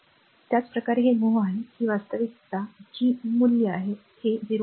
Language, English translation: Marathi, Similarly, just hold on, similarly this is mho this is actually this value is G is given, this is 0